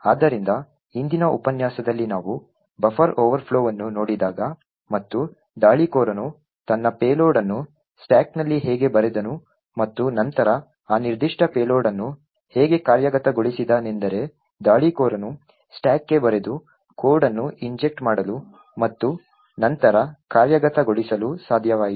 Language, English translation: Kannada, So, recollect that in the previous lecture when we looked at the buffer overflow and how the attacker wrote his payload in the stack and then executed that particular payload is that the attacker was able to inject code by writing to the stack and then execute in the stack